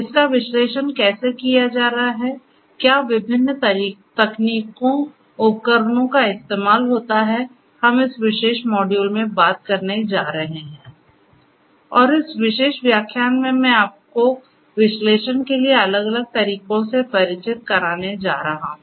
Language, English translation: Hindi, How it is going to be analyzed, what are the different techniques, tools and so on is what we are going to talk about in this particular module and in this particular lecture, I am going to introduce to you about the different broadly the different methodologies that are there for the analysis